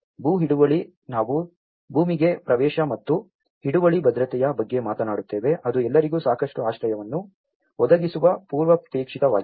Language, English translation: Kannada, Land tenure, we talk about the access to land and security of tenure which are the prerequisites for any provision of adequate shelter for all